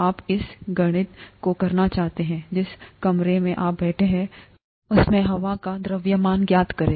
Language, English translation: Hindi, You may want to do this calculation, find out the mass of air in the room that you are sitting in